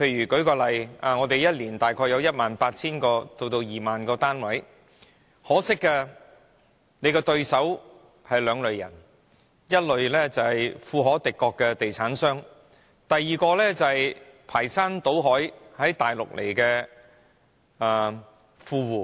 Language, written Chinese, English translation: Cantonese, 舉例來說，我們每年大約有 18,000 個至 20,000 個單位供應，可惜買家只有兩類人，一是富可敵國的地產商，二是從內地排山倒海到來的富戶。, For example each year there are about 18 000 to 20 000 units for sale in the market but there are only two types of buyers one is the filthy rich land developers and the other is the rich people swarming from the Mainland to Hong Kong